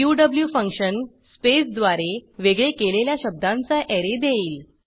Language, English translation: Marathi, qw function returns an Array of words, separated by space